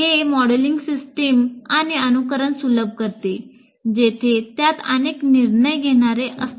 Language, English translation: Marathi, So it facilitates modeling systems and simulating where it consists of multiple decision makers